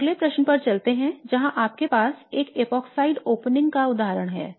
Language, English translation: Hindi, Now let's move on to the next question where you have the example of an epoxide opening